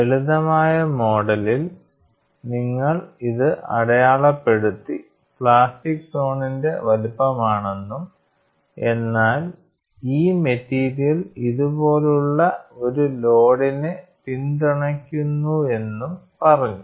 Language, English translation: Malayalam, The simplistic model, you simply mark this and set that, this is the size of the plastic zone whereas, this stretch of material was supporting a load like this